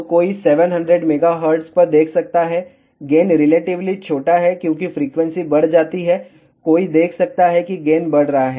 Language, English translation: Hindi, So, one can see at 700 mega hertz, gain is relatively small as frequency increases, one can see that gain is increasing